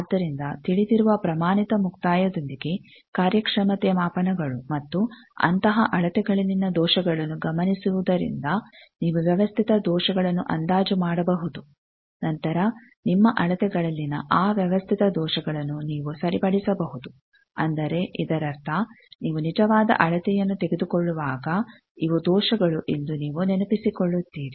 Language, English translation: Kannada, So, that you can then, these performing measurements with known standard termination you can estimate systematic errors from observing errors in such measurement and then you can correct for those systematic errors in your measurement that means, now when you will take the actual measurement you will remember that these are the errors